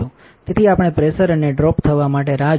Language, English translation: Gujarati, So, we will wait a little bit for the pressure to drop